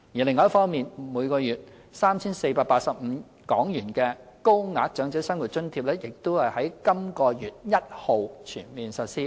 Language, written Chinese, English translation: Cantonese, 另一方面，每月 3,485 港元的高額長者生活津貼亦已在本月1日全面實施。, On the other hand the Higher OALA which provides a monthly allowance of HK3,485 has been launched since the 1 of this month